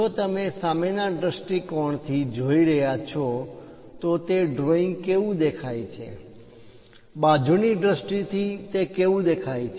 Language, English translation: Gujarati, So, if you are looking from frontal view, how that drawing really looks like, side views how it looks like